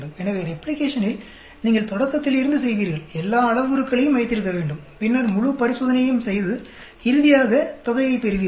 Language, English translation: Tamil, So, whereas in replication you do from the beginning, keep all the parameters, and then do the whole experiment, and finally, get the amount